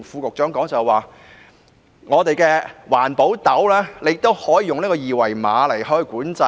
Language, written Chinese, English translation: Cantonese, 我想說的，是環保斗車也可以用二維碼來管制。, What I want to say is that QR codes can be used to regulate skips